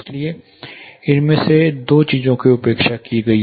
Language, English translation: Hindi, So, two of these things were neglected